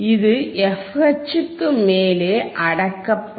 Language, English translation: Tamil, It will also gets suppressed above f H